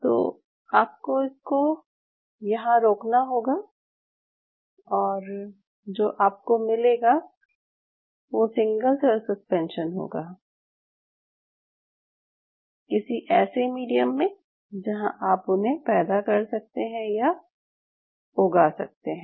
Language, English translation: Hindi, Then what you get is a single cell suspension, in some form of media where you want you to grow them